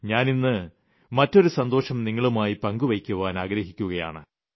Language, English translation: Malayalam, I also want to share another bright news with you